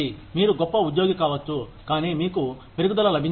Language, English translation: Telugu, You can be a great employee, but you do not get a raise